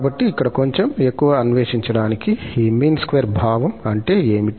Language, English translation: Telugu, So, just again to explore a bit more here that what do we mean by this mean square sense